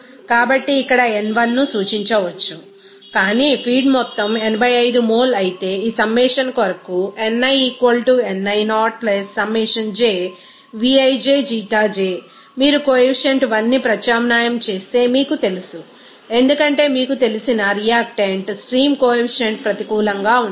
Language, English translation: Telugu, So, n1 can be represented by this here, but the feed amount is 85 mole whereas as for this summation of So, if you substitute that the coefficient is you know 1 since it is you know that in the you know, reactant stream then coefficient will be negative